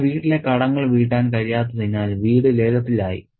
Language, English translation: Malayalam, He is unable to pay the debts on his house and his house has come to the auctioned